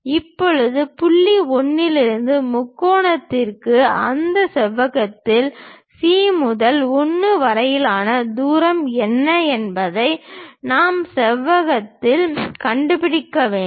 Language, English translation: Tamil, Now, for the triangle from point 1 we have to locate it on the rectangle further what is the distance from C to 1 on that rectangle